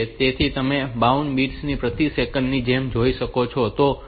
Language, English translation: Gujarati, So, you can find out like baud bits per second